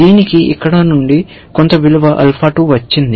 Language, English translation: Telugu, This has got some value alpha 2 from here